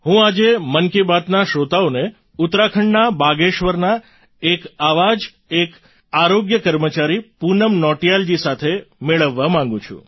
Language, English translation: Gujarati, Today in Mann ki Baat, I want to introduce to the listeners, one such healthcare worker, Poonam Nautiyal ji from Bageshwar in Uttarakhand